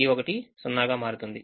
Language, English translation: Telugu, one becomes zero